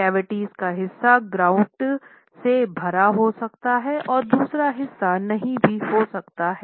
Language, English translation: Hindi, Part of the cavities may be filled with your grout and part may not be